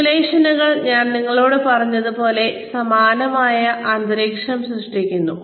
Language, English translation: Malayalam, Simulations, like I told you, similar environment is generated